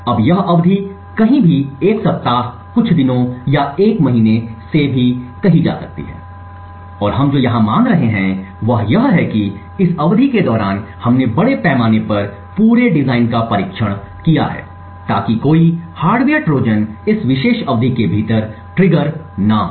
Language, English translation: Hindi, Now this duration could be anywhere say from 1 week, few days or even a month and what we assume here is that this during this epoch period we have extensively tested the entire design so that no hardware Trojans get triggered within this a particular epoch period